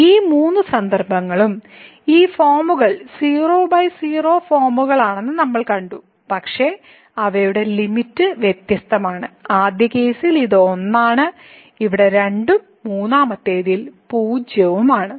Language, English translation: Malayalam, So, in these all three cases we have seen that these forms were by forms, but their limits are different; in the first case it is , here it is and the third one is